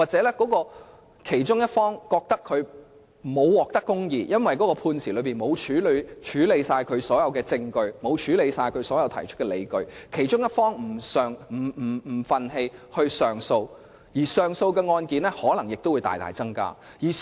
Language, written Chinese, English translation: Cantonese, 如果其中一方認為沒有獲得公義，因為判詞沒有處理全部證據或理據，心感不忿繼而提出上訴，這樣上訴案件的數量便可能大增。, If one of the parties to the dispute thinks that justice is not done or that the judgment has not taken all the evidence or justifications into account he may feel aggrieved and lodge an appeal . Consequently the appeal caseload may substantially increase